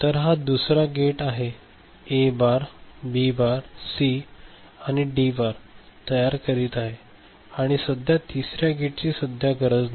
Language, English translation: Marathi, So, this is the second one is generating A bar, B bar, C and D bar and the third AND gate we do not need